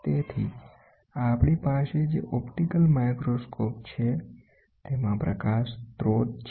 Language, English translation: Gujarati, So, an optical microscope we have this is a light source